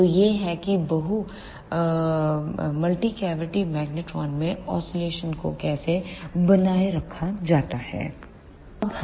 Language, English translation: Hindi, So, this is how the oscillations are sustained in multi cavity magnetron